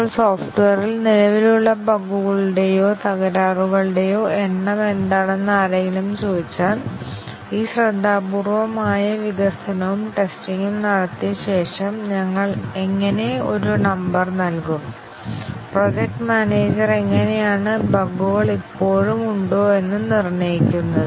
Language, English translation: Malayalam, Now, if somebody asks that what is the likely number of bugs or faults that are existing in the software, after all these careful development and testing has been carried out, how do we give a number, how does the project manager determine that how many bugs are still there